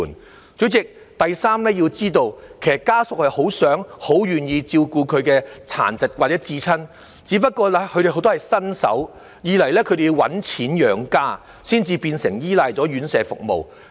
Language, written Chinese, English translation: Cantonese, 代理主席，第三，大家要知道，其實家屬很想、亦很願意照顧他們有殘疾的至親，只不過當中有很多人是新手，而且要掙錢養家，所以唯有依賴院舍服務。, Deputy President thirdly Members have to understand that family members are actually very eager and very willing to take care of their loved ones with disabilities . However many of them are novice carers who also need to earn a living thus they have no choice but to rely on services of RCHs